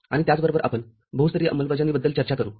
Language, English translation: Marathi, And what could be multilevel implementation